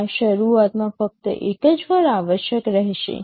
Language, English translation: Gujarati, This will be required only once at the beginning